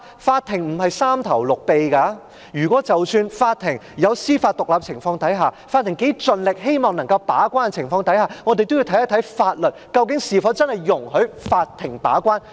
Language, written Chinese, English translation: Cantonese, 法庭並無三頭六臂，即使在司法獨立的情況下，即使法庭盡力希望能夠把關，也要視乎法律是否真的容許法庭把關。, Courts possess no superhuman powers . Despite having judicial independence and the intent to perform a gatekeeping role courts can only serve as gatekeepers within the permissible scope of the law